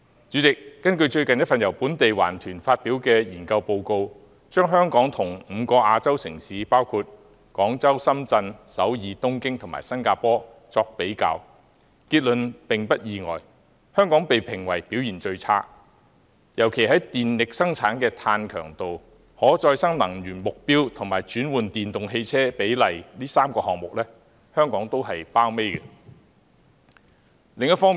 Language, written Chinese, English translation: Cantonese, 主席，根據最近一份由本地環保團體發表的研究報告，把香港與5個亞洲城市，包括廣州、深圳、首爾、東京和新加坡作比較，結論並不意外，香港被評為表現最差，尤其在電力生產的碳強度、轉用可再生能源的目標及轉換電動汽車的比例這3個項目上，香港均排榜尾。, President according to a study report recently published by a local environmental group when compared with five other Asian cities namely Guangzhou Shenzhen Seoul Tokyo and Singapore Hong Kong was unsurprisingly found to have the worst performance . In particular Hong Kong was ranked the lowest in terms of carbon intensity of electricity generation targets of switching to renewable energy and proportion of electric vehicle replacement